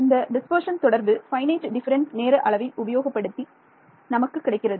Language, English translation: Tamil, So, this dispersion relation will become using finite difference time domain I am going to get